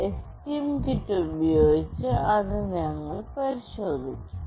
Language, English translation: Malayalam, We will try this out with the STM kit